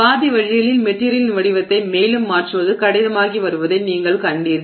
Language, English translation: Tamil, Halfway through it you found that you know it is getting difficult for you to change the shape of the material further